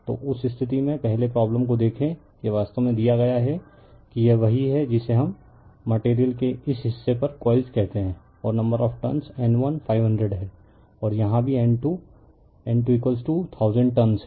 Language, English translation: Hindi, So, in that case first you see the problem it is actually what is given that your you have to this is one your what you call this is coil is own on this on this part of this material right and number of turns N 1 is 500 and here also N 2 is N 2 is equal to 1000 turns right